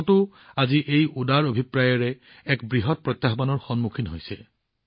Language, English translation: Assamese, Today, India too, with a noble intention, is facing a huge challenge